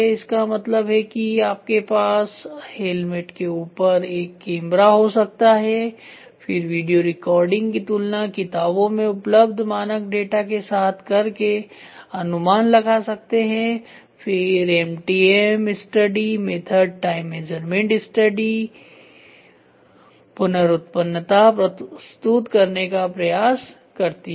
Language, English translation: Hindi, That means, to say on the helmet you can have a camera, then compare and estimate video recording, standard data which is available in the books, then MTM study method time measurement study here it tries to give good reproducibility